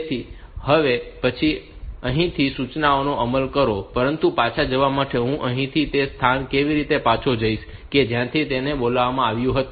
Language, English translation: Gujarati, So, that it will it will next execute the instruction from here, but for going back how do I go back from here to the point from where it was called